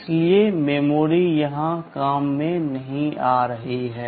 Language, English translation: Hindi, So, memory is not coming into the picture here at all